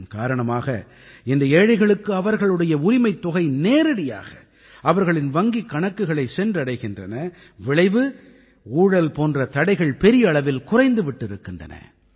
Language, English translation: Tamil, Today, because of this the rightful money of the poor is getting credited directly into their accounts and because of this, obstacles like corruption have reduced very significantly